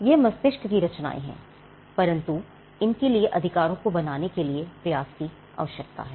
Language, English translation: Hindi, So, they are creations of the mind, but it requires an effort to create these rights